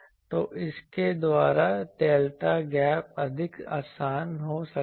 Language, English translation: Hindi, So, by that the delta gap can be more easily